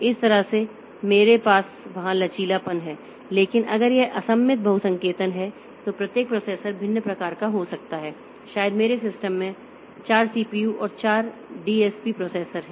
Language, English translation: Hindi, So, that way I have the flexibility there but if it is a asymmetric multiprocessing then each processor may be of different type, may be in my system there are say four CPUs and four DSP processors